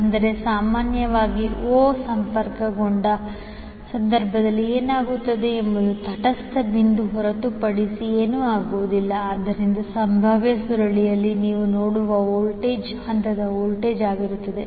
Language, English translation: Kannada, But generally what happens in case of Y connected the o will be nothing but the neutral point so that the voltage which you seeacross the potential coil will be the phase voltage